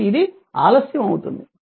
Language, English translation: Telugu, So, it is delayed right